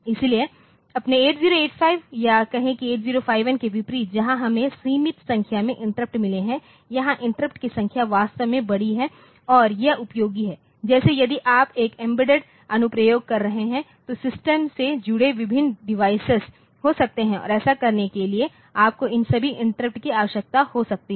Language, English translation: Hindi, So, unlike say your 8085 or say 8051 where we have got a limited number of interrupts so, here the number of interrupts are really large and this is useful like, if you are having some embedded application then there may be different devices connected to the system and also so, you may need to have all these interrupts